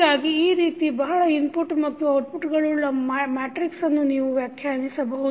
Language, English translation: Kannada, So, this is how you define the matrix which contains the multiple output and multiple input